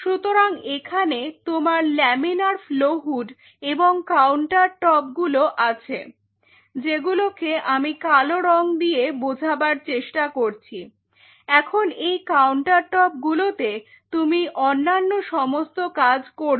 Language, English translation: Bengali, So, you have this laminar flow hoods here you have the counter top of course, which I am shading in black now we are the countertop for you for all other works whatever